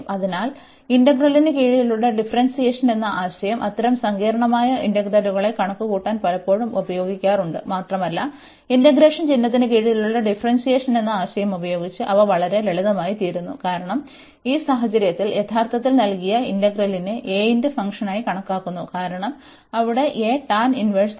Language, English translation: Malayalam, So, this idea of this differentiation under integral is very often used to compute such complicated integrals, and they become very simple with the idea of this differentiation under integration sign, because we consider actually in this case this integral the given integral as a function of a, because the a is there as the tan inverse